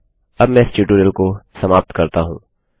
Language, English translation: Hindi, This brings us to end of this tutorial